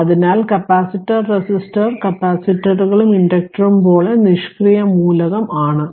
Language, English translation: Malayalam, Therefore, thus like capacitor resistor capacitors and inductors are said to be your passive element right